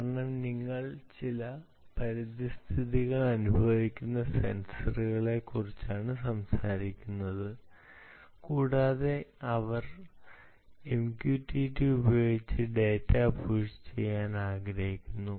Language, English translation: Malayalam, because you are talking about sensors which are sensing some environment and they want to push data using m q t t, small little dots